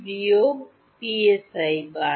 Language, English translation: Bengali, minus psi bar